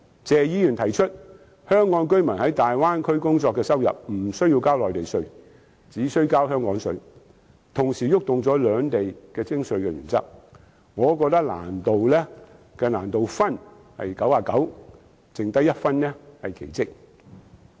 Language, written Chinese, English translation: Cantonese, 謝議員提出香港居民在大灣區工作的收入無須繳交內地稅，只需交香港稅，同時觸碰到兩地的徵稅原則，我覺得落實建議的難度是99分，餘下1分是奇蹟。, Mr TSEs proposal on exempting Hong Kong residents who work in the Bay Area from paying Mainland taxes for their incomes and requiring them to pay Hong Kong taxes touches on the taxation principles of both places . I think the difficulty of implementing this proposal is 99 points out of the total